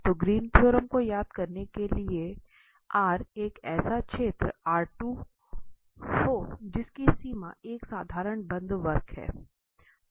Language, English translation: Hindi, So, the Green’s theorem just to recall was to let R be a region in this R2 whose boundary is a simple closed curve C